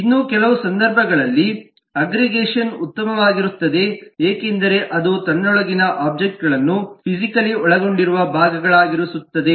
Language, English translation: Kannada, It is in some cases aggregation is better because it keeps the objects within itself as as physically contained part